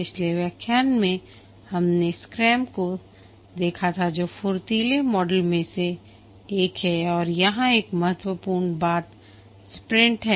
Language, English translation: Hindi, In the last lecture we looked at scrum which is one of the agile models and one important thing here is the sprint